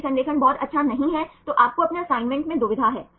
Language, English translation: Hindi, If the alignment is not very good then you have the dilemma in your assignment